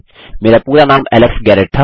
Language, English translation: Hindi, My fullname was Alex Garrett